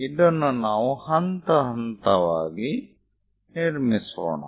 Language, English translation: Kannada, Let us construct that step by step